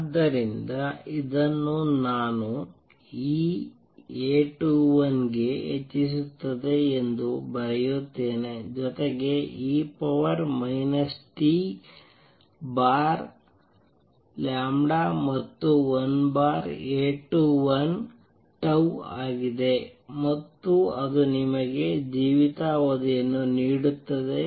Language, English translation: Kannada, So, this because I can write this as e raise to A 21 as also e raise to minus t over tau where tau is 1 over A 21 and that gives you the lifetime